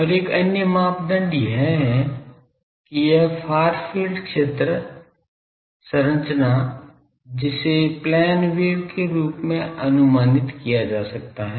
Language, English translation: Hindi, And another criteria is that this far field, the field structure that can be approximated as a plane wave